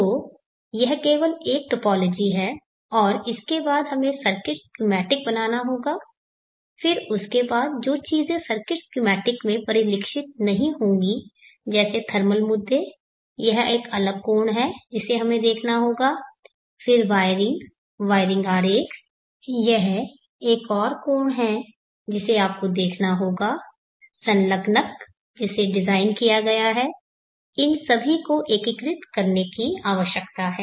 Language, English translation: Hindi, So like that you see that there are various components so this is only a topology and next we have to draw the circuits schematic then after that thinks that will not get reflected in the circuit schematic like the thermal issues that is an separate angle that we have to look at then the wiring, wiring diagram that is the another angle that you have to look at the enclosures the enclosure that is designed